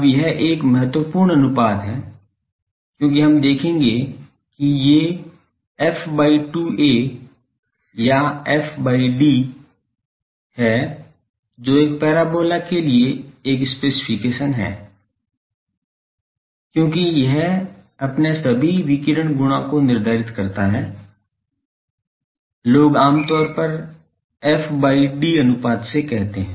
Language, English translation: Hindi, Now, this is an important ratio as we will see that these f by 2a or f by d that is a specification for a parabola, because it determines all its radiation properties, f by d ratio people generally call it